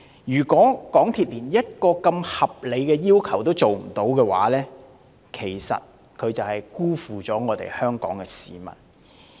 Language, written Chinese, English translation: Cantonese, 如果港鐵公司連如此合理的要求也不能滿足，無疑是辜負了香港市民。, If MTRCL cannot even meet such a legitimate request it is indeed letting the people of Hong Kong down